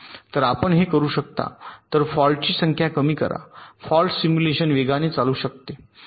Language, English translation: Marathi, so if you can reduce the number of faults, fault simulation can run faster